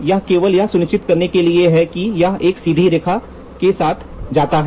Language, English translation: Hindi, This is only to make sure it goes along a straight line